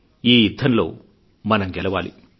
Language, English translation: Telugu, We shall win this battle